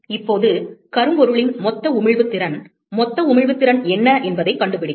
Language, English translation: Tamil, Now let us find, what is the total emissive power, total emissive power of a blackbody